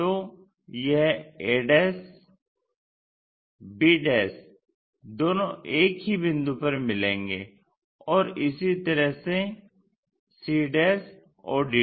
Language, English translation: Hindi, And this one a', b', both are coinciding, c' and d'